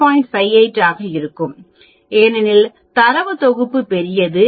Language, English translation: Tamil, 58 because the data set is large